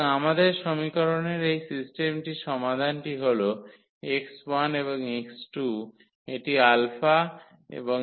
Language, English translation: Bengali, So, our solution of this system of equation is x 1 and x 2 this alpha and this 1 0